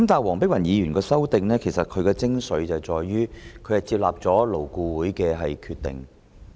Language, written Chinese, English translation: Cantonese, 黃議員的修正案的精髓，在於納入了勞工顧問委員會的決定。, The essence of Dr WONGs amendment is that it has incorporated the decision of the Labour Advisory Board LAB